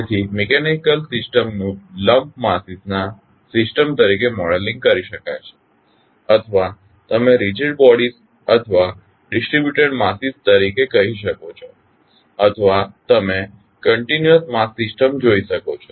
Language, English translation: Gujarati, So, the mechanical systems may be modeled as systems of lumped masses or you can say as rigid bodies or the distributed masses or you can see the continuous mass system